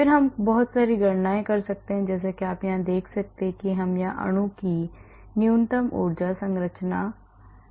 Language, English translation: Hindi, And then we can do a lot of calculations as you can see here we can be a minimum energy conformation of the molecule